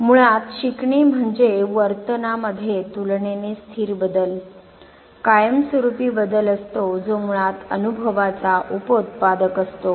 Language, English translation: Marathi, Learning basically is relatively stable change relatively permanent change in the behavior which is basically a byproduct of experience, fine